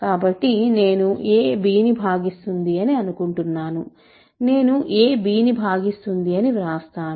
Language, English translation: Telugu, So, I am assuming a divides b, so, so I should write a divides b